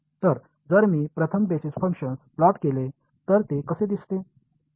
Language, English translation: Marathi, So, if I plot the first basis function what does it look like